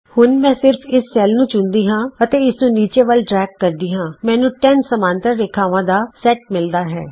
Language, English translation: Punjabi, Now I can just select this cell and drag it all the way down, I get a set of 10 parallel lines